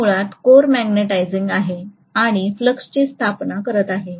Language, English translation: Marathi, It is magnetizing basically the core and it is establishing the flux